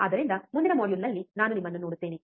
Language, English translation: Kannada, So, I will see you in next module